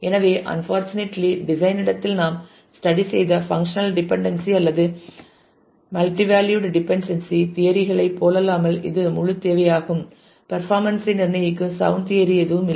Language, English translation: Tamil, So, that is the whole requirement all about unfortunately unlike the functional dependency or multivalued dependency theories that we studied in the design space; there is no sound theory that determines optimal performance